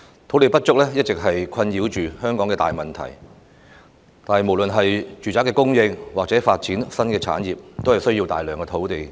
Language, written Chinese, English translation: Cantonese, 土地不足是一直困擾着香港的大難題，無論是住宅供應或新產業發展都需要大量土地。, The shortage of land is a difficult problem that has always plagued Hong Kong and huge amount of land is needed for housing supply and the development of new industries